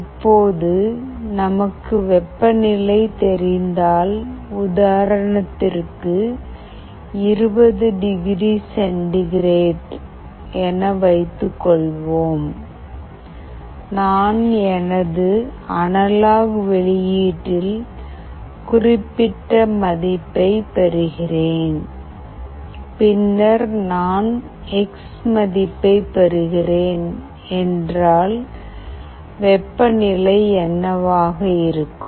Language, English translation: Tamil, If we know that now the temperature is, let us say 20 degree centigrade, I am getting certain value in my analog output, then if I am getting x value, what will be the temperature